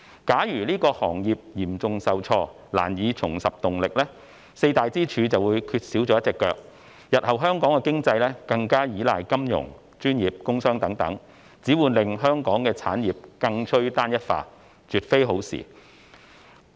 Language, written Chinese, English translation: Cantonese, 假如該行業嚴重受挫，難以重拾動力，四大支柱便會缺少了一隻腳，日後香港的經濟更依賴金融業及專業工商等，只會令香港的產業更趨單一化，絕非好事。, If that industry fails to regain its momentum due to the severe setback one of the four pillars will be missing thus Hong Kongs economy will rely even more heavily on the financial professional and industrial and commercial industries in the future . This will make Hong Kongs industries even more homogenous which is by no means a good thing